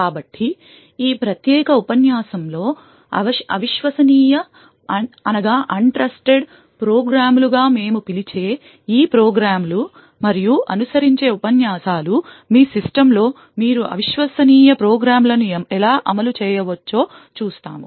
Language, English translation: Telugu, So these programs which we call as untrusted programs in this particular lecture and the lectures that follow we will see how you could run untrusted programs in your system